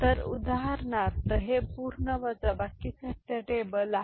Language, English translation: Marathi, So, for example, this is a full subtractor truth table ok